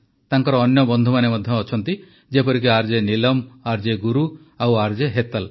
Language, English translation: Odia, Her other companions are RJ Neelam, RJ Guru and RJ Hetal